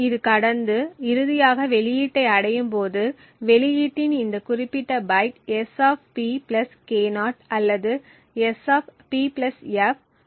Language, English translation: Tamil, As this passes through and finally reaches the output this particular byte of the output is either S[P] + K0 or, S[P + f] + K0